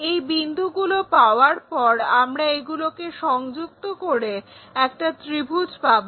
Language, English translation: Bengali, So, once we have that point connect this by triangle